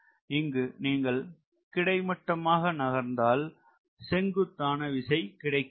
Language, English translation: Tamil, here you move horizontally and you generate a vertical force